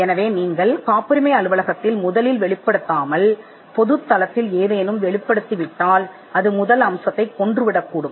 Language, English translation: Tamil, So, if you make any disclosure into the public domain, without first disclosing to the patent office then it can kill the first aspect